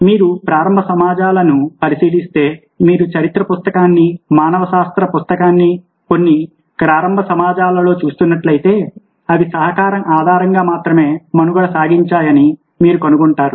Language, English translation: Telugu, if you are looking at the early societies, if you are looking at the book of history, book of anthropology, at some of the earliest societies, you find that they survived only on the basis of collaboration